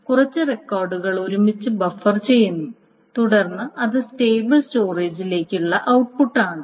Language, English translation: Malayalam, A couple of records are buffered together and then this is output to the stable storage